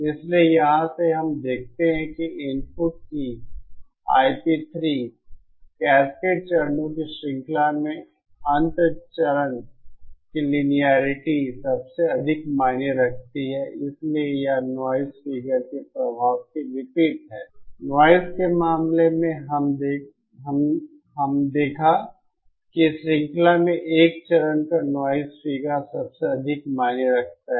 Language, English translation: Hindi, So from here that we see that the input, that I p 3, the linearity of the end stage in the in the chain of cascaded stages matters the most, so this is opposite to the effect of the noise figure, in case of noise figure we saw that the noise figure of the 1st stage in the chain matters the most